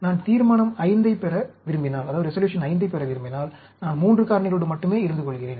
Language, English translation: Tamil, If I want to get Resolution V, then, I stick to only 3 factors